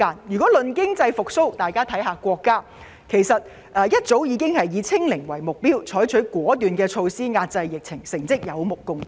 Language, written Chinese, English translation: Cantonese, 談到經濟復蘇，國家早已以"清零"為目標，採取了果斷措施遏制疫情，成績有目共睹。, Speaking of economic recovery our country has long set zero infection as its goal and taken decisive measures to contain the epidemic . Its achievement is evident to all